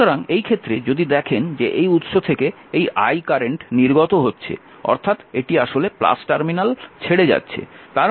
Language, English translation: Bengali, So, in this case if you see that this I 1 current is coming out from this source